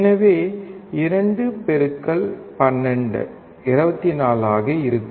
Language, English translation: Tamil, So, 2 into 12 would be 24